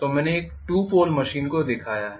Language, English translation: Hindi, So I have shown a 2 pole machine